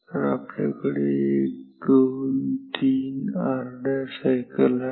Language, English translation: Marathi, So, we have 1 2 3 half cycles